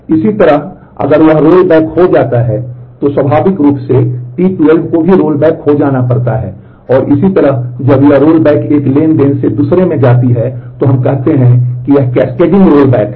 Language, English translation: Hindi, Similarly if that is rolled back then naturally T 12 also have to be rolled back and so on and when this rolling back goes from one transaction to the other we say this is the cascading roll back